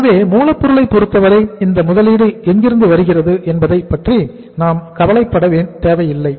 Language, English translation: Tamil, So raw material part we are not going to worry about that from where this investment will come